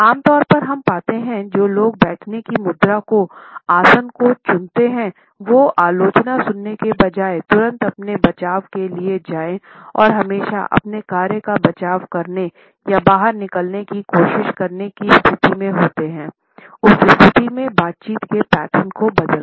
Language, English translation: Hindi, Normally, we find that people who opt for this sitting posture jump to their defense immediately instead of listening to the criticism and are always in a hurry either to defend their actions or to try to wriggle out of that position by changing the conversation patterns